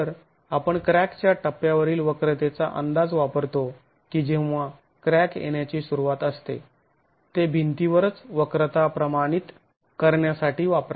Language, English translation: Marathi, So, we are using the estimate of the curvature at the cracked stage when the initiation of crack occurs, use that to proportion the curvature in the wall itself